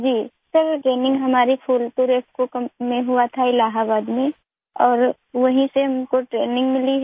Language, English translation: Hindi, Ji Sir, the training was done in our Phulpur IFFCO company in Allahabad… and we got training there itself